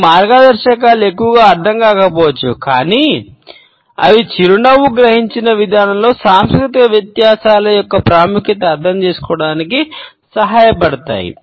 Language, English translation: Telugu, These guidelines may not mean too much, but they help us to understand, the significance of cultural differences in the way the smile is perceived